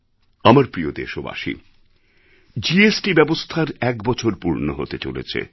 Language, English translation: Bengali, It's been an year when GST was implemented